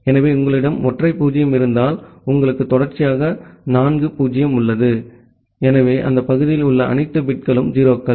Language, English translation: Tamil, So, if, you have a single 0 that means, you have 4 consecutive 0, so all the bits in that part are 0’s